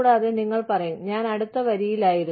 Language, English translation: Malayalam, And, you will say, i was next in line